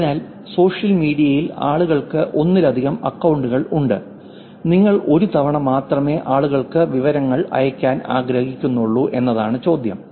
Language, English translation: Malayalam, So, the question is, people have multiple accounts on social media and sending information to all of them, you want to send information to the people only once